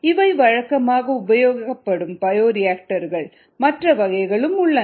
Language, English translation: Tamil, different types of bioreactors are commonly used